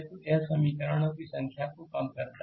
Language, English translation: Hindi, So, it reduces the number of equation